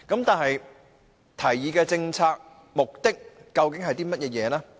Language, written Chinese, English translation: Cantonese, 但是，提議的政策目的究竟是甚麼？, That said what is actually the policy objective of the proposal?